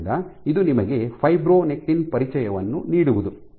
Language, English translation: Kannada, So, this is just to give you an intro to Fibronectin